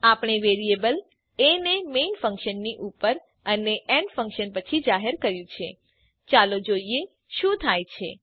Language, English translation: Gujarati, We have declared the variable a above the main function and after the add function , Let us see what happens